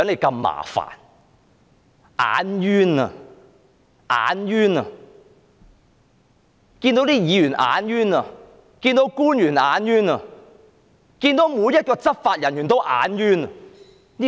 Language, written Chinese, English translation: Cantonese, 他們看到議員便"眼冤"；看到官員便"眼冤"；看到執法人員便"眼冤"。, They are irritated at the sight of Legislative Council Members . They are irritated at the sight of government officials . They are irritated at the sight of law enforcement officers